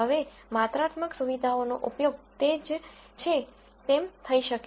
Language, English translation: Gujarati, Now quantitative features can be used as they are